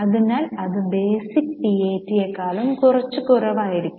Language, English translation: Malayalam, That's why it's, that amount will be slightly less than the basic PAD